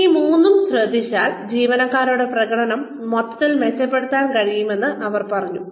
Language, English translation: Malayalam, So, they said that, once we take care of these three the employee performance, overall can be improved